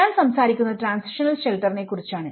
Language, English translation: Malayalam, So, I am talking about the transitional shelter